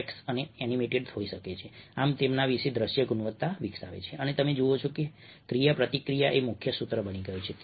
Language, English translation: Gujarati, even texts can be animated, thus hm developing a visual quality about them and ah, you see that ah, interactivity have become a key motto